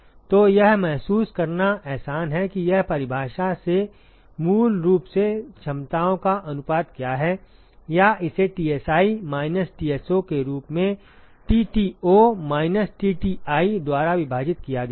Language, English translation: Hindi, So, that is sort of easy to realize what it is from the definition basically the ratio of the capacities or it is defined as Tsi minus Tso divided by Tto minus Tti